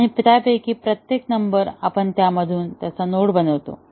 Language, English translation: Marathi, And each of those numbers, we make nodes out of that